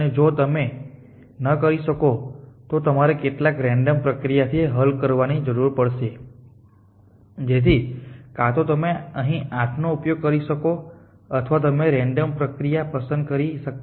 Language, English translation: Gujarati, And if you cannot then you to result to some 10 of random process any things next so either you can u use 8 here or you can choose random process